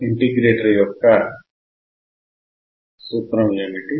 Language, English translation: Telugu, What is the formula of an integrator